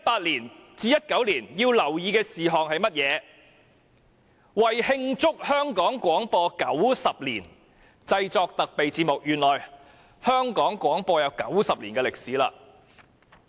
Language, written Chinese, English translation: Cantonese, 其中一項是"為慶祝香港廣播九十年製作特備節目"，原來香港廣播已有90年歷史了。, One of them is to produce special programmes for celebrating 90 Years of Broadcasting in Hong Kong so broadcasting already has a history of 90 years in Hong Kong